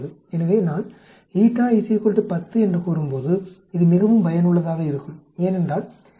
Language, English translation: Tamil, So when I say eta is equal to 10, it is extremely useful because we can say 63